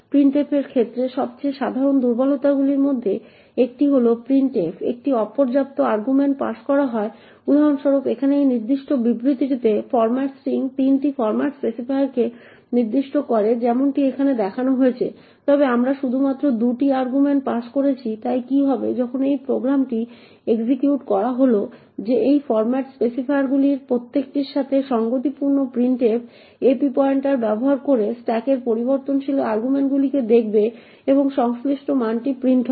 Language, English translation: Bengali, One of the most common vulnerabilities with respect to printf is an insufficient arguments are passed to printf for example in this particular statement over here the format string specifies 3 format specifiers as seen over here however we have passing only 2 arguments, so what happens when we execute this program is that corresponding to each of these format specifiers printf would look at the variable arguments on the stack using the ap pointer and print the corresponding value